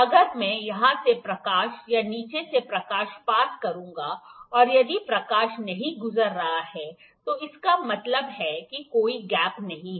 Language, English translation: Hindi, If I pass the light from here or light from the bottom, if the light is not passing, that means there is no gap